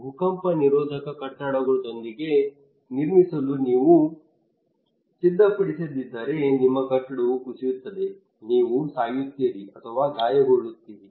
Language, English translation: Kannada, If you do not prepare built with earthquake resistant building your building will collapse, you will die or injure